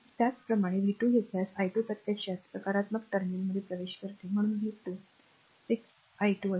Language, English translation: Marathi, Similarly, if you take v 2, the i 2 actually entering in to the positive terminal so, v 2 will be 6 i 2